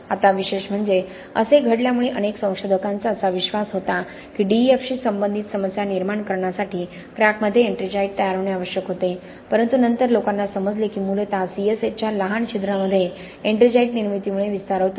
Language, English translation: Marathi, Now interestingly because of this happening lot of researchers tended to believe that ettringite formation had to happen in cracks to lead to DEF related problems, but later people understood that essentially it is because the ettringite formation within the small C S H pores of C S H that leads to expansions and further cracking